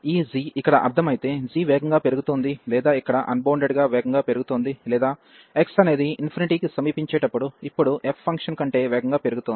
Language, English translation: Telugu, If this g is the meaning here is that g is growing faster or getting unbounded faster here or to when x approaching to infinity, now going growing faster than the f function